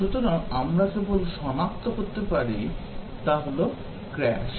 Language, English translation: Bengali, So, only thing that we can detect is a crash